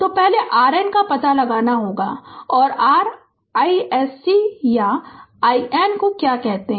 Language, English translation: Hindi, So, first you have to find out the R N and your what you call that your i s c or i N